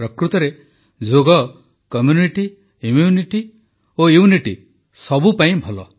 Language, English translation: Odia, Truly , 'Yoga' is good for community, immunity and unity